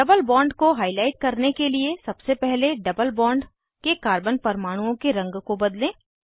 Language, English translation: Hindi, To highlight double bond, let us first change the color of carbon atoms of the double bond